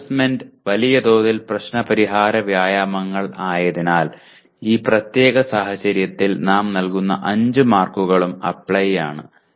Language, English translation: Malayalam, And because assignment by and large are problem solving exercises, all the 5 marks we are assigning in this particular case to Apply, okay